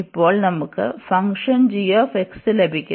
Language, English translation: Malayalam, And now we got this function g x